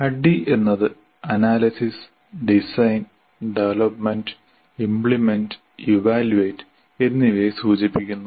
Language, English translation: Malayalam, Adi refers to analysis, design, development, implement and evaluate